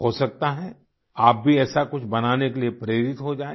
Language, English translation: Hindi, It is possible that you too get inspired to make something like that